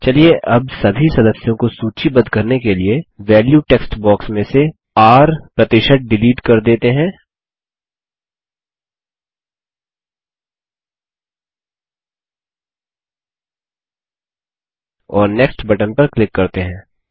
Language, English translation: Hindi, Let us now delete the R% from the value text box to list all the members and click on the Next button